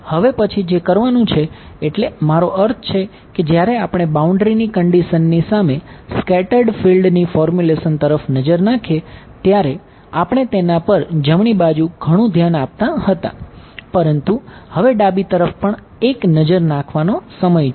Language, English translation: Gujarati, The next thing is I mean so far when we looked at the boundary conditions and the total field versus scattered field formulation, we were paying a lot of attention to the right hand side, but now it is time to also take a look at the left hand side right